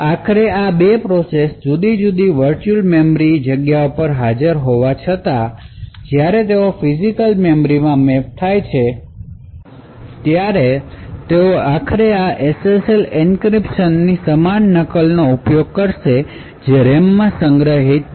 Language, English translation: Gujarati, Eventually although these 2 processes are at different virtual memory spaces, eventually when they get mapped to physical memory they would eventually use the same copy of this SSL encryption which is stored in the RAM